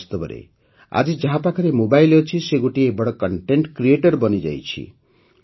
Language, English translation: Odia, Indeed, today anyone who has a mobile has become a content creator